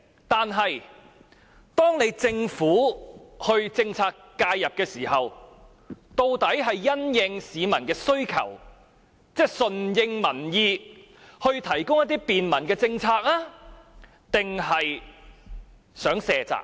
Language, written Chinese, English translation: Cantonese, 但是，政府作出政策介入時，究竟是順應民意而提供便民政策，還是想卸責呢？, But when the Government formulates this measure as a form of policy intervention does it seek to respond to public aspirations or simply wish to shirk its responsibility?